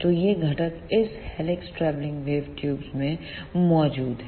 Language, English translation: Hindi, So, this is all about the working of helix travelling wave tubes